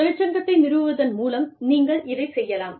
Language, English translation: Tamil, You could do this, through union organizing